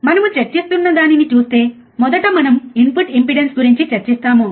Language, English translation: Telugu, Ah so, if you see the first one that we will be discussing is the input impedance